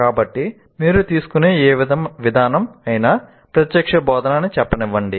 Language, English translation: Telugu, So what happens, any approach that you take, let's say direct instruction